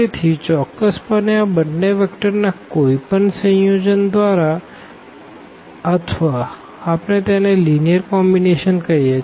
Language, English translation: Gujarati, So, certainly by any combination of these two vectors or rather we usually call it linear combination